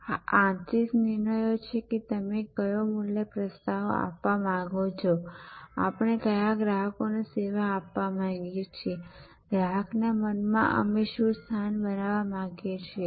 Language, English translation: Gujarati, So, these are input steps, these are internal decisions that what value proposition you want to offer, what customers we want to serve, what position in the customer's mind we want to create